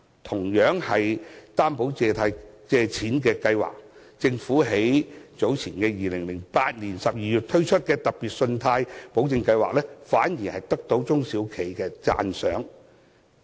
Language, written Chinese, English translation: Cantonese, 同樣是擔保借錢的計劃，政府於2008年12月推出的特別信貸保證計劃反而得到中小企的讚賞。, But another financing scheme with credit guarantee the Special Loan Guarantee Scheme launched by the Government in December 2008 was well - received by SMEs